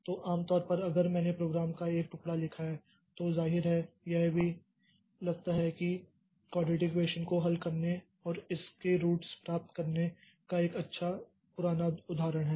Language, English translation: Hindi, So, so typically, so if I have got, if I have written a piece of program, then apparently it seems even suppose the good old example of solving a quadratic equation and getting the roots of it